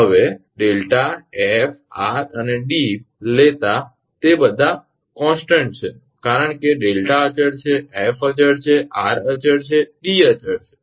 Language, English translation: Gujarati, Now, taking delta f r and D all are constant because delta is constant f is a constant r is constant D is constant